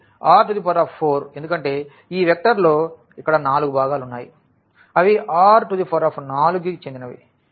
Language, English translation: Telugu, So, R 4 because there are four components here of this vector so, they are they belongs to R 4